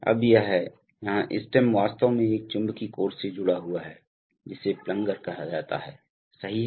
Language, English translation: Hindi, Now this is, here the stem is actually connected to a, to a magnetic core which is called the plunger, right